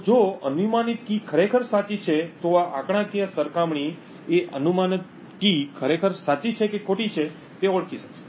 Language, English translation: Gujarati, So, if the guessed key is indeed correct this statistical comparison would be able to identity if the guessed key is indeed correct or the key is wrong